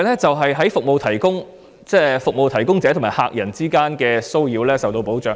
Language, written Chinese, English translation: Cantonese, 此外，服務提供者與客人之間的騷擾亦同樣受到保障。, Likewise there is also protection from harassment between service providers and clients